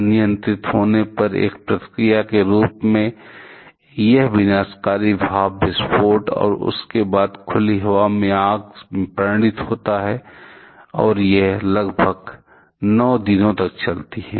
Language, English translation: Hindi, As a reaction when uncontrolled, it result in destructive steam explosion and subsequent open air fire and that fire lasted for about 9 days